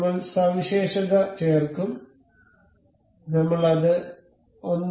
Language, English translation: Malayalam, We will added the feature, I will make it say 1